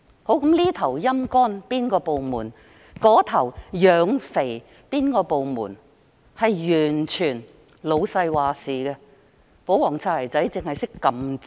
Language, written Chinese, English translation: Cantonese, 這邊廂"陰乾"一個部門，那邊廂養肥另一個部門，完全由老闆決定，保皇"擦鞋仔"只懂按掣。, The decision to sap one department and fatten up another is entirely made by the boss; all the royalist bootlickers have to do is to press the button